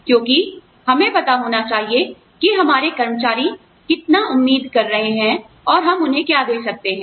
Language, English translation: Hindi, Because, we should know, how much our employees are expecting, and what we can give them